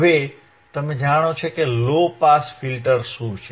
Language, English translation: Gujarati, Now you know, what are low pass filters